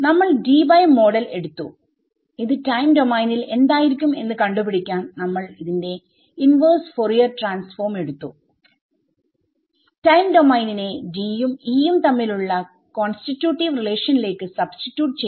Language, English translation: Malayalam, So, we took the Debye model we took its inverse Fourier transform to find out what it looks like in the time domain, substituted the time domain into the constitutive relation between D and E, that is all that we have done so far